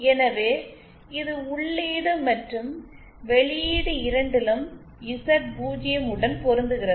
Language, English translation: Tamil, So this is matched to Z0 both at the input and output